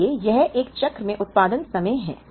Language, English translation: Hindi, So, this is the production time in a cycle